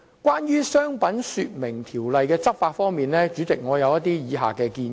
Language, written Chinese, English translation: Cantonese, 關於《商品說明條例》的執法，我有以下建議。, I have the following suggestions as regards the enforcement of the Trade Descriptions Ordinance